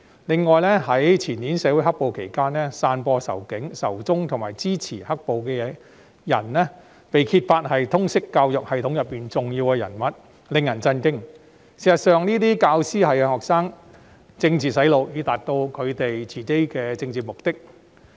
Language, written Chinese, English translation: Cantonese, 此外，在前年"黑暴"期間，更有人揭發一些散播仇警、仇中信息及支持"黑暴"的人，是通識教育系統的重要人物，真是令人震驚這些教師對學生進行政治"洗腦"，從而達到他們的政治目的。, Furthermore during the black - clad violence the year before last it was also revealed that some people who spread the message of hatred against the Police and China and supported black - clad violence were important figures in the LS system . This was really shocking! . These teachers politically brainwashed the students to achieve their political goals